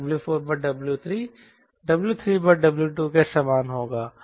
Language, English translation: Hindi, so this will be w five by w four